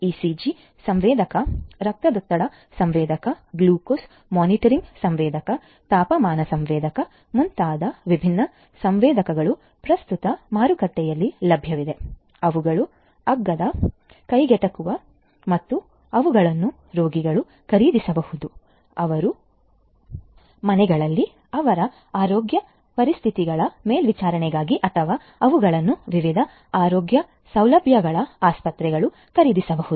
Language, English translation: Kannada, There are different sorry there are different sensors such as the ECG sensor, blood pressure sensor, glucose monitoring sensor, temperature sensor etcetera that are currently available in the market, that can be that are those are cheap affordable and can be procured can be purchased by the patients themselves for monitoring their health conditions at their homes or those could be also purchased by different healthcare facilities hospitals and so on